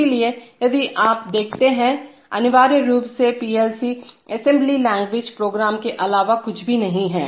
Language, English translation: Hindi, So, if you see, essentially PLC programs are nothing but assembly language programs